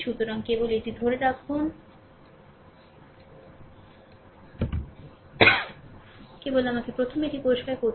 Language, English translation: Bengali, So, just hold on ah this is just let me clear it first, right, let me clear it first